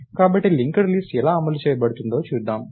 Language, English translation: Telugu, So, lets see how linked list can be implemented